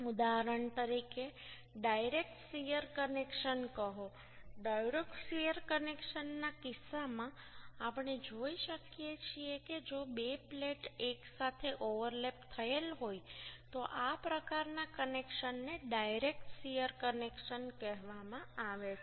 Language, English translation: Gujarati, in case of direct shear connection, we can see that if two plates are overlapped together then this type of connection is called direct shear connection